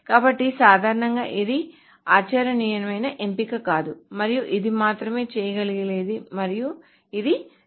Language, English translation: Telugu, So again in general this is not a very viable option and this is the only thing that can be done and that is being done